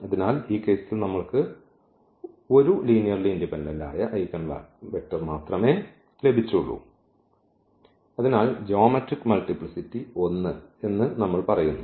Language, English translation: Malayalam, So, in this case we got only one linearly independent eigenvector and therefore, we say that the geometric multiplicity